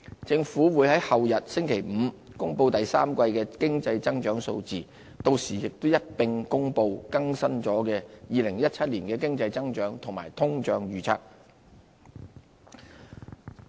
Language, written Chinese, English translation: Cantonese, 政府會在後日公布第三季的經濟增長數字，到時亦會一併公布已更新的2017年經濟增長及通脹預測。, The Government will on the day after tomorrow Friday announce figures of the third quarter economic growth and the latest economic and inflation forecasts for 2017